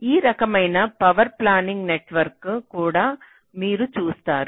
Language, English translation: Telugu, ok, so this kind of a power planning network also you do